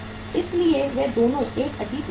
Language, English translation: Hindi, So they are the two means a peculiar situation